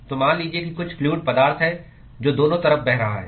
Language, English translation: Hindi, So, let us say that there is some fluid which is flowing on both sides